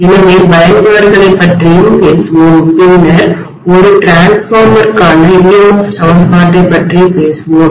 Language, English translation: Tamil, So we will be talking about the applications as well, then we will be talking about EMF equation for a transformer